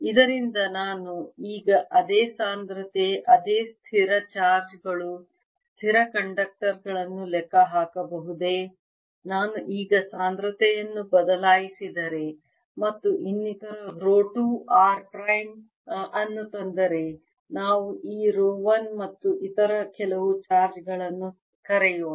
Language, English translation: Kannada, can i calculate for the same situation, same fixed charges, fixed conductors, if i now change the density and bring in some other rho two, r, prime, let's call this rho one and some other charges